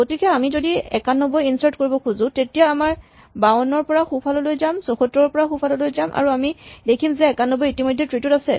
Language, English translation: Assamese, So, if now we try to for instance insert ninety one then we go right from 52 we go right from 74 and now we find that 91 is already present in the tree